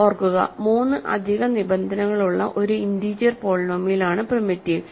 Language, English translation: Malayalam, Remember, the definition of primitive is it is an integer polynomial with 3 additional conditions